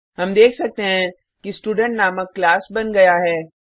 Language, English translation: Hindi, We can see that the class named Student is created